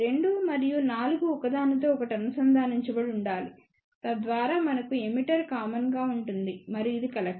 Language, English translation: Telugu, 2 and 4 should be connected with each other so that we have a emitter which is common and this is collector